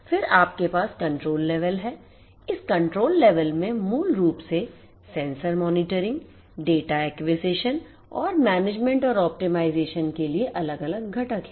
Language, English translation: Hindi, Then you have the control plane, this control plane basically has different components, components for sensor monitoring, data acquisition and management and optimization